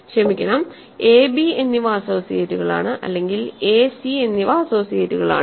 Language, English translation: Malayalam, Sorry a and b are associates or a and c are associates